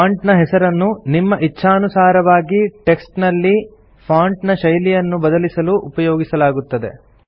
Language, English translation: Kannada, Font Name is used to select and change the type of font you wish to type your text in